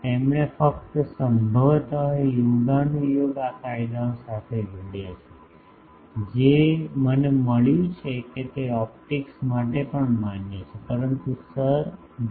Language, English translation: Gujarati, He just conjuncture probably these laws which I have found they also are valid for optics, but Sir J